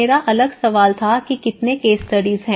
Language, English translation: Hindi, My next question was how many case studies